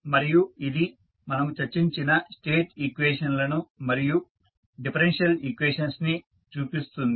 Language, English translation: Telugu, And this shows the state equations so which we discussed and the differential equation